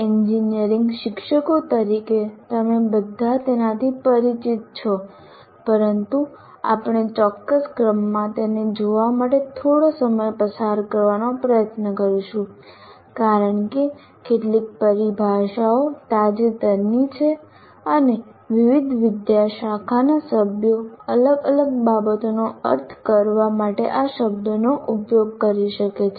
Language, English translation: Gujarati, As engineering teachers, all of you are familiar with this, but we will try to spend some time in looking at this in one particular sequence because much some of the terminology, if not all the terminology, is somewhat recent and to that extent different faculty members may use these terms to mean different things